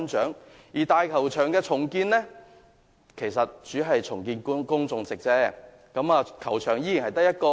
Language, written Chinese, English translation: Cantonese, 至於大球場的重建工程，主要是重建觀眾席，但依然只得一個球場。, As for the redevelopment of the Stadium it mainly involves the reconstruction of the spectator stand and there is still only one pitch